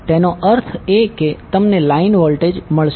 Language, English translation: Gujarati, That means you will get the line voltage